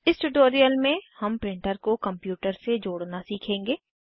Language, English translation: Hindi, In this tutorial, we will learn to connect a printer to a computer